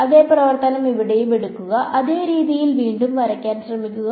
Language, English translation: Malayalam, Take the same function over here; try to draw it again in the same way